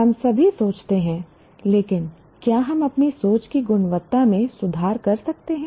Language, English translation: Hindi, All of us think, but can we improve the quality of our thinking